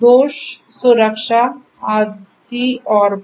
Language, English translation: Hindi, for fault diagnostics etc